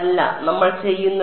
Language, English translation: Malayalam, No what we do is